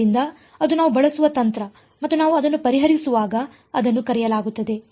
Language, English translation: Kannada, So, that is the strategy that we will use and when we solve it like that its called the